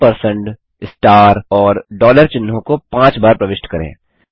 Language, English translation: Hindi, Enter the symbols ampersand, star and dollar 5 times